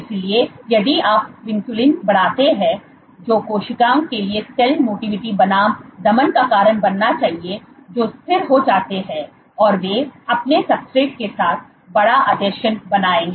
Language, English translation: Hindi, So, if you increase vinculin that should lead to suppression of cell motility versus cells will become steady and they will form bigger adhesions with their substrate